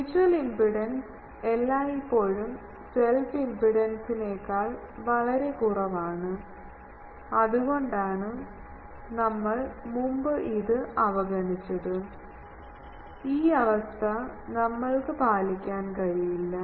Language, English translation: Malayalam, Mutual impedance is always much much lower than self impedance, that is why we were earlier neglecting it and this condition we cannot meet